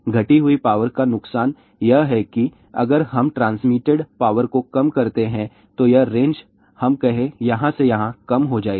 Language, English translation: Hindi, The disadvantage of the reduced power is that if we reduce the transmitted power , then the range will reduce from here to let us say here